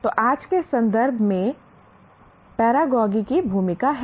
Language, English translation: Hindi, So, Paragogy has a role in today's context as well